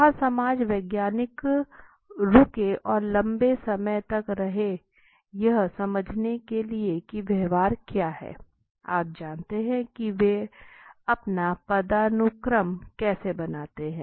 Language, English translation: Hindi, Where the social scientist when on to stay there and stayed there for the long time to understand that what is the behavior, you know how do they make their hierarchy